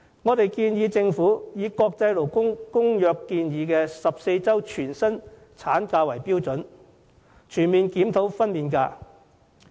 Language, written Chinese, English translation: Cantonese, 我們建議政府以國際勞工公約建議的14周全薪產假為標準，全面檢討分娩假。, We recommend the Government to conduct a comprehensive review of maternity leave and adopt the standard of 14 weeks of full - pay maternity leave as recommended by the International Labour Conventions